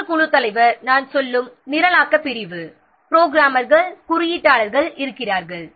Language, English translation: Tamil, Another team leader, the programming section, I mean the programmers coders are there